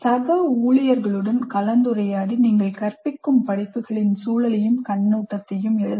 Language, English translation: Tamil, Discuss with colleagues and write the context and overview of the courses that you teach